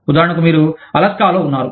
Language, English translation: Telugu, For example, you are based in, say, Alaska